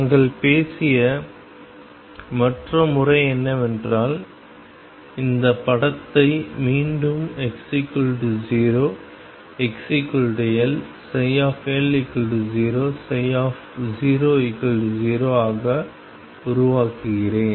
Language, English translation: Tamil, The other method that we had talked about was, let me make this picture again x equals 0 x equals L psi L is 0 psi 0 is 0